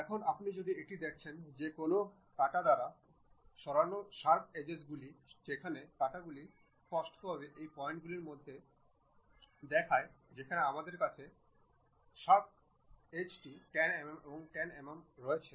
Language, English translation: Bengali, Now, if you are seeing this the sharp edges removed by a cut where that cut clearly shows that the distance between these points from where we have that chamfer is 10 mm and 10 mm